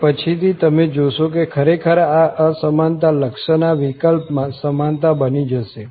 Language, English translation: Gujarati, And later on, you will see that indeed this inequality in the limiting case will become equality